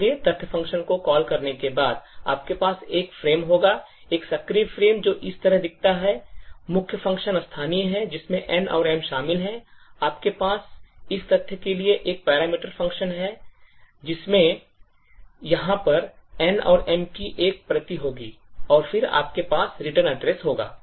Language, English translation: Hindi, So therefore after the call to the fact function, you would have a frame, an active frame which looks like this, there are the main the locals of the main function that is comprising of N and M, you would have a parameters to the fact function, which here again would be a copy of N and M, and then you would have the return address